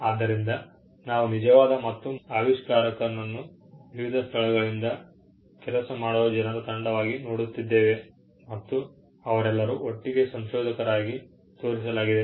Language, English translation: Kannada, So, we are looking at a true and first inventor could be a team of people working from different locations and they are all shown together as the inventor